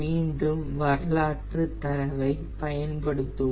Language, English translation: Tamil, so first we will use the historical data